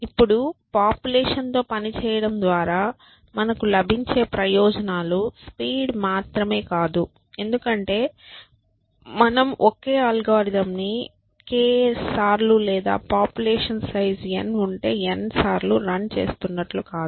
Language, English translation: Telugu, Now, the benefits that we get by working with populations I have not just speed up, because it is not as if you are running the same algorithm k times or n times if n is the size of population